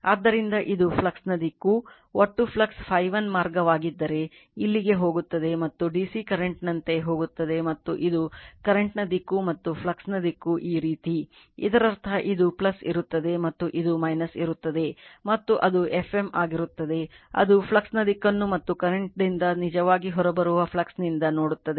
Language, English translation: Kannada, So, this is the direction of the flux right, say total flux if it is phi 1 right phi path is going here and path is going like your DC circuit and this is your flux is flowing right the current flows and the direction of the flux is this way; that means, this will be plus and this will be minus and that will be your F m this will do that is a you see the direction of the flux and from flux where your current actually coming out